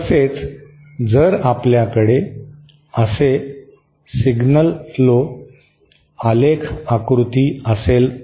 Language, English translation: Marathi, Similarly if you have a signal flow graph diagram like this